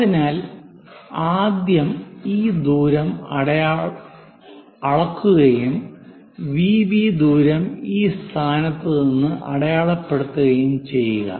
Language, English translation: Malayalam, So, first of all measure this distance transfer this V B to this point